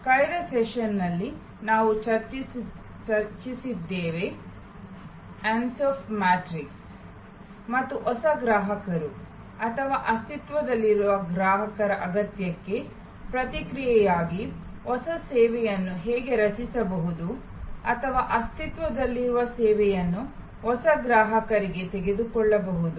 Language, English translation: Kannada, We discussed in the last session, the Ansoff matrix and how new service can be generated in response to the need of new customers or existing customers or existing service can be taken to new customers